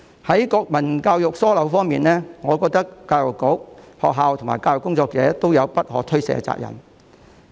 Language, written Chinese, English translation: Cantonese, 關於國民教育出現疏漏的問題，我認為教育局、學校和教育工作者均有不可推卸的責任。, Insofar as the oversight in national education is concerned I think that the Education Bureau schools and educational workers all have an unshirkable responsibility